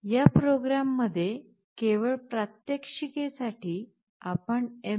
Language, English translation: Marathi, In this program, just for the sake of demonstration, we have included mbed